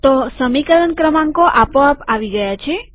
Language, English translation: Gujarati, So equation numbers have appeared automatically